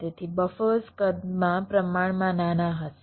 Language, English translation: Gujarati, ok, so the buffers will be relatively smaller in size